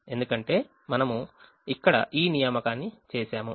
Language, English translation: Telugu, so we have made an assignment here